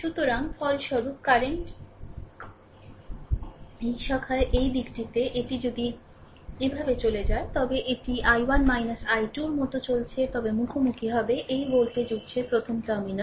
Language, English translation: Bengali, So, resultant current here in this branch in this direction, it is if you go this way it is i 1 minus i 2 moving like this then encountering minus terminal first of this voltage source